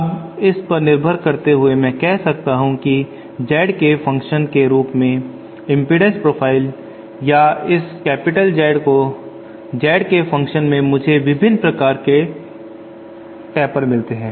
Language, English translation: Hindi, Now depending on as I said what the impedance profile or this capital Z as a function of Z is I get various types of tapers